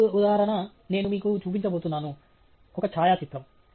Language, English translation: Telugu, The next example, I am going to show you, is a photograph